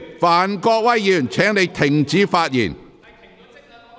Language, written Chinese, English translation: Cantonese, 范國威議員，請停止發言。, Mr Gary FAN please stop speaking